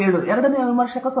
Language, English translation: Kannada, 7 and, second reviewer is 0